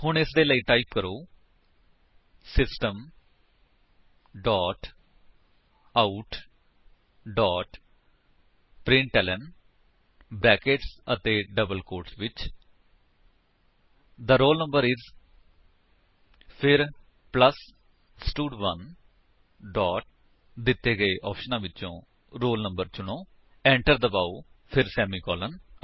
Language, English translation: Punjabi, So, for that, type: System dot out dot println within brackets and double quotes The roll number is then plus stud1 dot from the option provided select roll no press Enter then semicolon